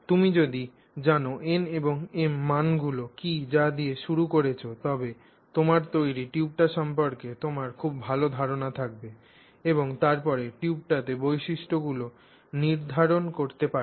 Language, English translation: Bengali, If you know what the n values and what the m value is, you start, you will have a very good idea of what is the tube that you have created